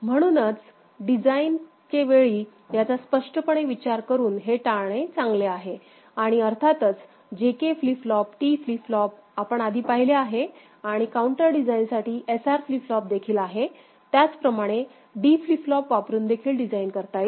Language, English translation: Marathi, So, it is better to avoid it by explicitly considering it in the design steps and of course, JK flip flop, T flip flop we have seen before and also SR flip flop for counter design, but we are know that D flip flop also can be used right for design